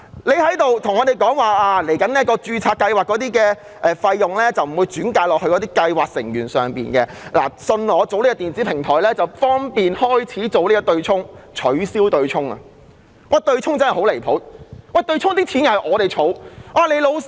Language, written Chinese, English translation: Cantonese, 局長聲稱日後的註冊計劃費用不會轉嫁到計劃成員身上，只要採納所推出的電子平台，便可有利於開始進行取消強積金對沖安排的程序。, According to the Secretary the registration fee to be charged in the future will not be passed on to scheme members and the establishment of the proposed electronic platform will facilitate the start of the procedures for the abolition of the offsetting arrangement under the MPF System